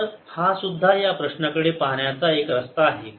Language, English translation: Marathi, so this is one way of looking at the problem